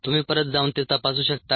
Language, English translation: Marathi, you can go back and check that equation